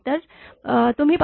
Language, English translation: Marathi, So, you take 5